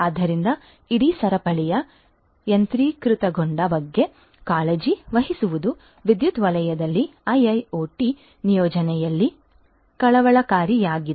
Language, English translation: Kannada, So, taking care of the automation of the whole chain is what is of concern in the IIoT deployment in the power sector